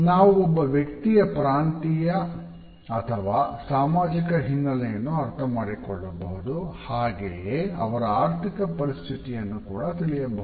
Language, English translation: Kannada, We can understand the regional associations and social backgrounds of the person, we can understand the economic affairs of that individual